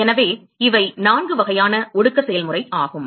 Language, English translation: Tamil, So, these are the four types of condensation process